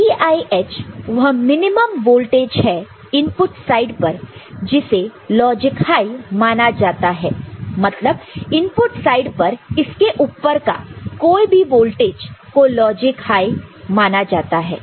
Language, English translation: Hindi, VIH is the minimum voltage required at the input side which is treated as logic high any voltage higher than that at the input side will be treated as logic high ok, is it clear